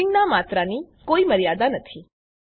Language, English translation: Gujarati, There is no limit to the amount of nesting